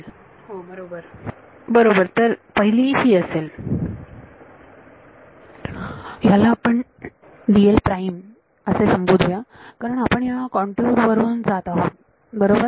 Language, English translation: Marathi, Right and dl let us call dl prime because I am going over this is my contour right